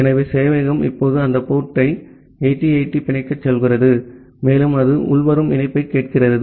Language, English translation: Tamil, So, the server is now say bind that port 8080, and it is listening for the incoming connection